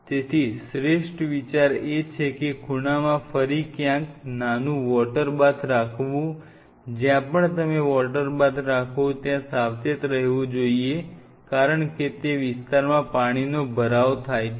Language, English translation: Gujarati, So, the best idea is to have a small water bath somewhere in the again in the corner has to be careful wherever you keep a water bath, because there are lot of water spill happens at the zone